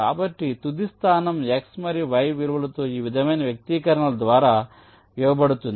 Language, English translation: Telugu, so the final location is given by x and y values, by expressions like this